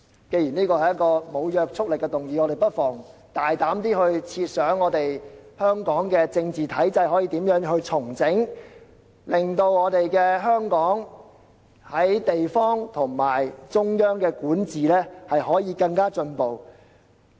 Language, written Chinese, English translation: Cantonese, 既然這是一項無約束力的議案，我們不妨大膽設想香港的政治體制可以如何重整，令香港在地方和中央管治上更進步。, Since this is a motion with no legislative effect we may be more audacious in conceiving how the political system in Hong Kong should be restructured so that Hong Kong may make more progress in central and district administration